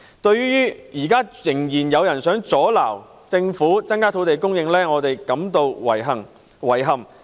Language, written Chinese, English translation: Cantonese, 對於現時仍然有人想阻撓政府增加土地供應，我們感到遺憾，以及對於他們......, For some people who still want to obstruct the Governments efforts in increasing land supply we express our regret and for their